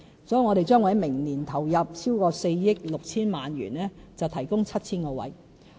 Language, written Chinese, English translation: Cantonese, 因此，我們將會在明年投入超過4億 6,000 萬元提供 7,000 個名額。, Hence we will allocate more than 460 million next year for the provision of 7 000 service places